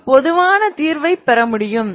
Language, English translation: Tamil, I can get the general solution